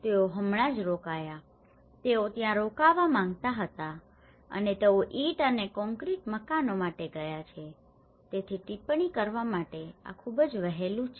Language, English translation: Gujarati, They just stayed, they wanted to stay there and they have gone for the brick and concrete houses so this is too early to comment